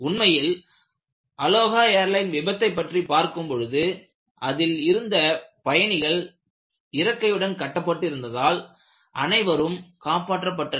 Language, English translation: Tamil, In fact, the Aloha airline failure, if you really go back and look at what they had done, just because the people were tied to the seats, they were all saved